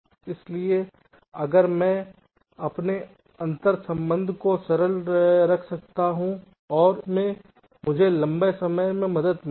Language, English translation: Hindi, so if i can keep my interconnection simple and short, it will help me in the long run